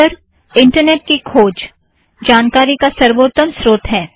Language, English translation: Hindi, Finally web search could be the best source of information